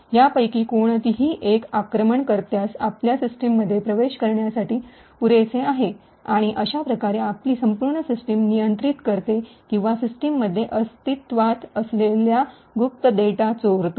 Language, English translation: Marathi, Any one of these is sufficient for the attacker to get access into your system and therefore control your entire system or steal secret data that is present in the system